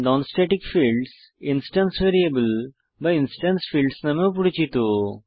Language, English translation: Bengali, Non static fields are also known as instance variables or instance fields